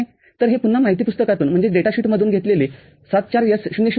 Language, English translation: Marathi, So, this is 74S00, again taken from the data sheet